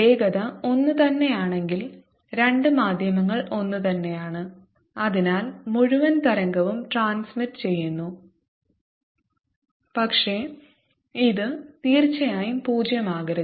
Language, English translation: Malayalam, if the velocities are the same, two mediums are the same and therefore the, the entire wave, transmits, but this certainly cannot be zero